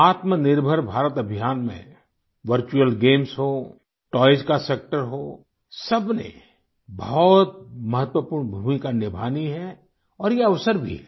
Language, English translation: Hindi, Friends, be it virtual games, be it the sector of toys in the selfreliant India campaign, all have to play very important role, and therein lies an opportunity too